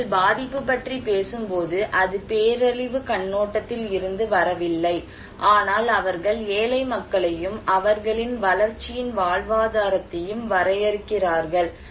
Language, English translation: Tamil, When they are talking about vulnerability, it did not came from, did not come from the disaster perspective, but they are talking defining poor people and their livelihood in case of development and people at the center of their model